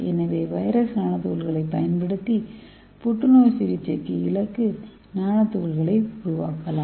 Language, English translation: Tamil, So we can make a targeted nano particle for cancer therapy using this virus nano particles